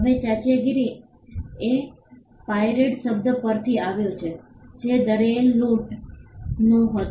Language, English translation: Gujarati, Now piracy comes from the word pirate which stood for a sea robber